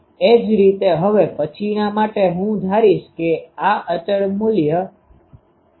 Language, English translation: Gujarati, Similarly, for the next one I will assume this is the constant current value